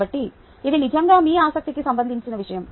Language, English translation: Telugu, ok, so that is really something of your interest